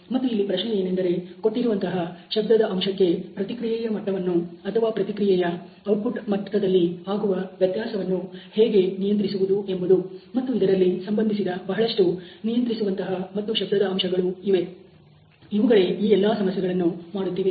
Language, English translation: Kannada, And the question is about controlling the level of that response or the variability in the output level of that response you know given the signal factor and so there are many controllable and noise factors which are associated in that process which would do all this